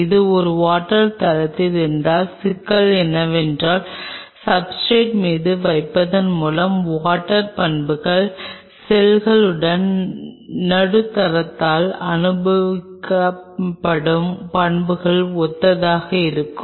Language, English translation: Tamil, If it is on a water base the problem is this the properties of the water upon putting on the substrate will be similar to the properties which will be experienced by the medium along with the cells